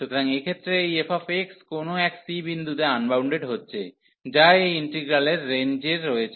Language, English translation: Bengali, So, in this case this f x is getting unbounded somewhere at the point c, which is in the range of this integral